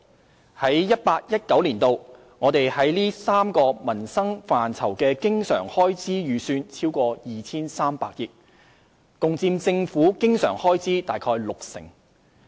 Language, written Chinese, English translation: Cantonese, 在 2018-2019 年度，我們在這3個民生範疇的經常開支預算超過 2,300 億元，共佔政府經常開支約六成。, In 2018 - 2019 the estimated recurrent expenditure on these three livelihood areas exceeds 230 billion which accounts for around 60 % of the recurrent expenditure of the Government